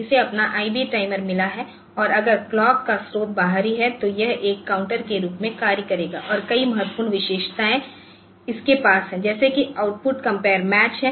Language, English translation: Hindi, So, it has got its IB timer and also if the clock source is external it will act as a counter and the many very important feature that it has is that, there is an output compared match